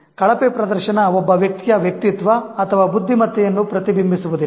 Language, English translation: Kannada, Poor performance is not a reflection of one's personality or intelligence